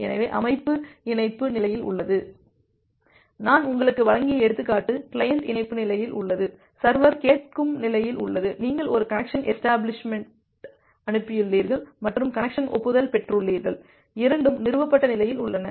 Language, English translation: Tamil, So the system is in the connect state, the example that I have given you, that the client is in the connect state, the server is in the listen state, you have sent a connection request and got an connection acknowledgement, both are in the established state